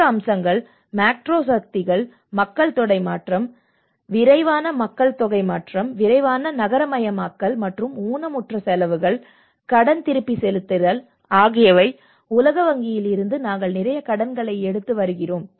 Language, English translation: Tamil, The other aspects are the macro forces, the demographic change you know the rapid population change, rapid urbanisations and the amputation expenditure, the debt repayment because we have been taking lot of loans from world bank and other things